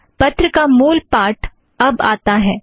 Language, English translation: Hindi, The text of the letter comes next